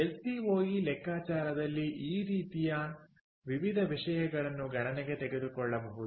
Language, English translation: Kannada, lcoe calculation can take into account a variety of stuff like this